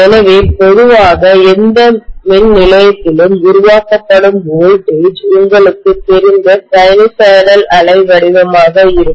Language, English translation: Tamil, So normally the voltages generated in any power station will be sinusoidal you know wave shape, okay